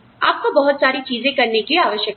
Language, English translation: Hindi, You are required to do, a lot of things